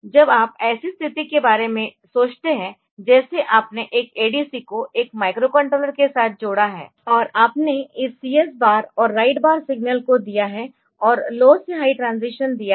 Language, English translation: Hindi, So, when this you think about the situation like you have connected one ADC with a microcontroller, and you have microcontroller has given this CS bar and write bar CS bar signal and given a low to high transition write so that it starts converting